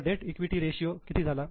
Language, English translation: Marathi, So, what is a debt equity ratio